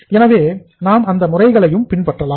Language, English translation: Tamil, So we can follow those methods also